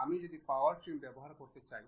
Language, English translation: Bengali, If I want to really use Power Trim